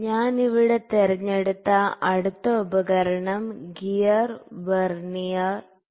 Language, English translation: Malayalam, So, the next instrument I have picked here is Gear Vernier